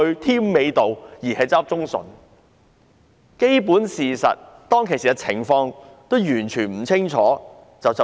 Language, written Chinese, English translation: Cantonese, 他對基本事實及當時的情況完全不清楚便發言。, He spoke without having a clear idea of the basic facts and the situation at that time